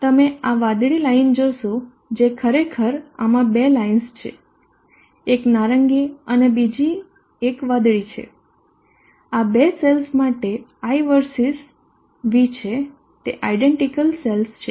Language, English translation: Gujarati, You see this line the blue line actually this is having two lines one is the orange and the other one is the blue this is high there is high versus v for the two cells they are identical cells